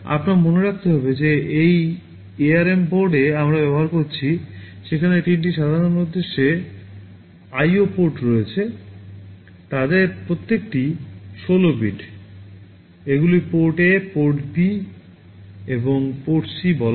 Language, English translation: Bengali, You should remember that in this ARM board we are using, there are three general purpose IO ports, each of them are 16 bits, these are called port A, port B and port C